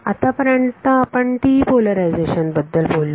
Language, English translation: Marathi, So, far we spoke about TE polarization